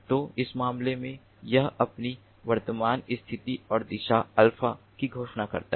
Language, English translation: Hindi, so in this case, it declares its current position and the direction